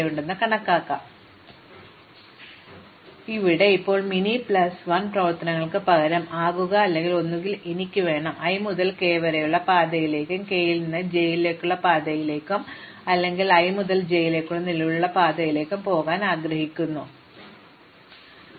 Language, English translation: Malayalam, So, here now instead of min and plus operations, now become or and and, either I want to path from i to k and path from k to j or I want to existing path from i to j, which never use k at all